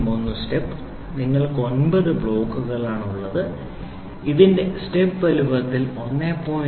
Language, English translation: Malayalam, 001 step you have 9 block, 1